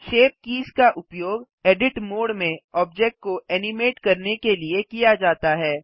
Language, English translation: Hindi, Shape Keys are used to animate the object in edit mode